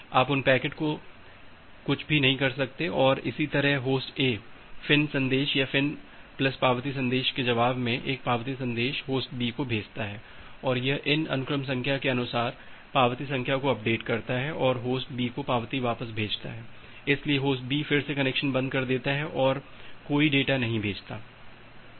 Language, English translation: Hindi, You cannot do anything with those packets and a similarly Host A sending the acknowledgement message against a FIN message or FIN plus acknowledgement message send by Host B and it updates the acknowledgement number accordingly against these sequence number, and sends back the acknowledgment to Host B, so Host B again closes the connection and do not send any data